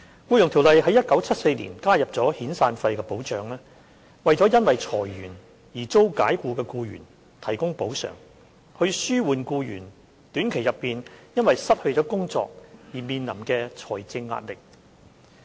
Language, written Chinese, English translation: Cantonese, 《僱傭條例》於1974年加入遣散費的保障，為因裁員而遭解僱的僱員提供補償，以紓緩僱員短期內因失去工作而面臨的財政壓力。, The protection of severance payment was introduced into EO in 1974 to make compensation to employees dismissed owing to redundancy so as to help alleviate their short - term financial hardship upon loss of employment